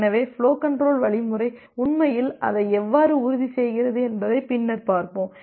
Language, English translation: Tamil, So later on we’ll see that how flow control algorithm actually ensures that